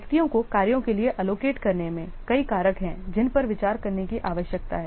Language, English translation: Hindi, In allocating individual to tax several factors are there which need to be considered